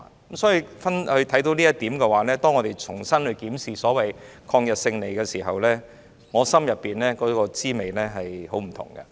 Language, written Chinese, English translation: Cantonese, 正是由於這一點，所以在我們重新檢視抗日勝利時，我內心實在有百般滋味。, It is precisely because of this that I have mixed feelings when we revisited the victory against Japan